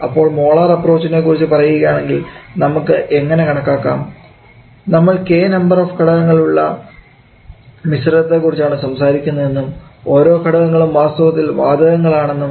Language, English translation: Malayalam, So in case of molar approach let us say we are talking about a mixture which comprises of K number of gas K number of components and each of these components are actually gases